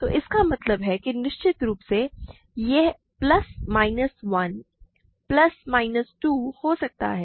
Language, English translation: Hindi, So, this is either 1 plus minus 1 or plus minus 2